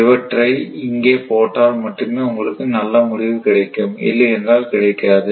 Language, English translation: Tamil, That one you have to put it here then only you will get the good result otherwise never right